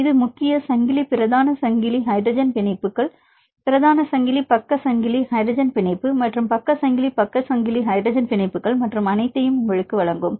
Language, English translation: Tamil, It will give you the main chain main chain hydrogen bonds main chain side chain hydrogen bond and side chain side chain hydrogen bonds and all